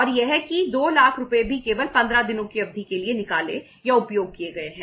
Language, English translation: Hindi, And that 2 lakh rupees have also been withdrawn or used only for a period of 15 days